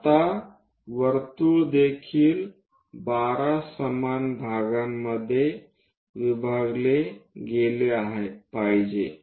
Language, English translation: Marathi, Now, circle also supposed to be divided into 12 equal parts